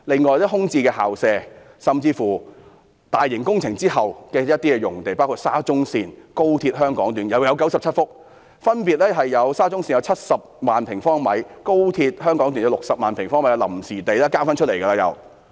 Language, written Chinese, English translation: Cantonese, 此外，空置校舍甚至興建大型工程之後的一些臨時用地，包括沙田至中環線、廣深港高速鐵路香港段共有97幅土地，沙中線及高鐵分別有70萬平方米及60萬平方米的臨時用地，已是再次騰空出來了。, Besides vacant school premises and even the temporary lands made available after the completion of large - scale construction projects including the Shatin to Central Link SCL and the Hong Kong Section of Guangzhou - Shenzhen - Hong Kong Express Rail Link XRL there are a total of 97 such sites . SCL and XRL provide 700 000 sq m and 600 000 sq m of temporary lands respectively . These former worksites are now made available again